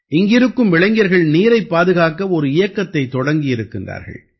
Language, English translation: Tamil, The youth here have started a campaign to save water